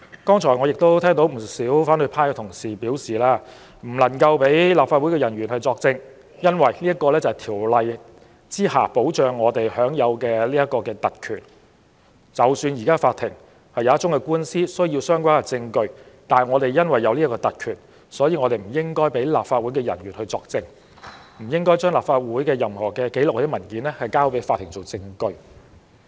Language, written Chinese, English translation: Cantonese, 剛才我聽到不少反對派同事表示，不能讓立法會人員作證，因為我們在《條例》下享有的特權，即使有一宗官司需要相關證據，但因為我們有這種特權，所以不應讓立法會人員作證，或將立法會的任何紀錄或文件交給法庭作為證據。, Just now I heard a number of opposition colleagues say that officers of the Council should not be allowed to give evidence owing to our privileges under the Ordinance . Does that mean that even if the relevant evidence is required in a lawsuit we should not given our privileges allow officers of the Council to give evidence or present any records or documents of the Council to the court as evidence?